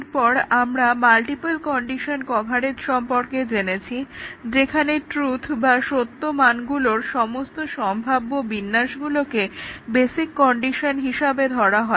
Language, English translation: Bengali, And then, we had seen the multiple condition coverage; where all possible combination sub truth values should be assumed by the basic conditions